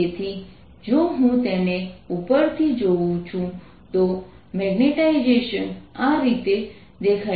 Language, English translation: Gujarati, so if i look at it from the top, this is how the magnetization looks